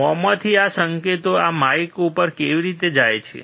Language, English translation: Gujarati, How does this signal from the mouth go to this mike